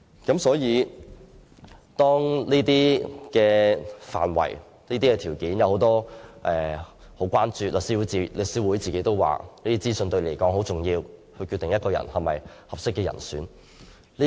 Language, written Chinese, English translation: Cantonese, 這些範圍和條件均備受關注，律師會也承認這些資訊很重要，是決定某人是否適當人士的考慮因素。, Such scope and requirements have attracted great concern and The Law Society has also admitted the importance of such information which determines whether a person is fit and proper . The public also consider that these conditions and criteria are important